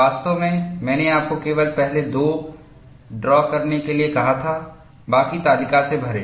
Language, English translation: Hindi, In fact, I had asked you to draw only the first two, fill up the rest from the table